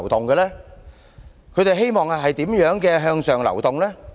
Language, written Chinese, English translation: Cantonese, 他們希望怎樣的向上流動？, In what ways do they want to move upward?